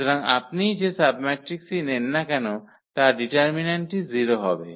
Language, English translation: Bengali, So, the all the submatrices you take whatever order the determinant is going to be 0